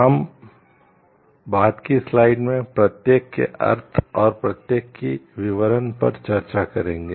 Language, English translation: Hindi, We will discuss the meaning of each and the details of each in the subsequent slides